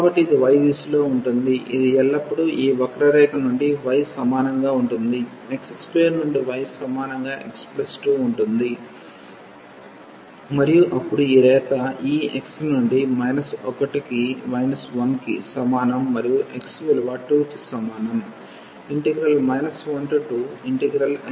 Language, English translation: Telugu, So, this is in the direction of y which is always from this curve y is equal to x square to y is equal to x plus 2 and then this line will move from this x is equal to minus 1 to x is equal to 2